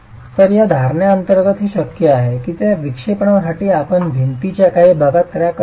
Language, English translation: Marathi, So, under this assumption, it's possible that for the deflection you have cracking in some part of the wall